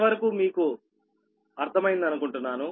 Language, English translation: Telugu, this much you have understood